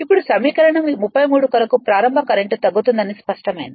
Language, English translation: Telugu, Now, for equation 33 it is clear that starting current will reduce right